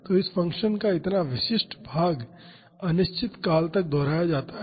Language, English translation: Hindi, So, this much specific portion of this function gets repeated indefinitely